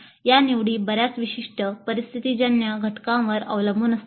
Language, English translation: Marathi, These choices depend on many specific situational factors